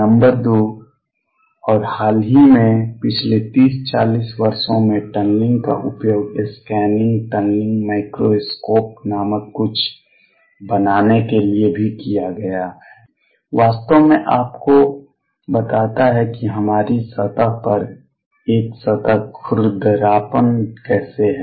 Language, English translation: Hindi, Number 2 more recently with in past 30, 40 years tunneling has also been used to make something call the scanning, tunneling microscope that actually gives you how a surface where is on our surface has roughness